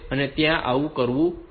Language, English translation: Gujarati, So, that has to be done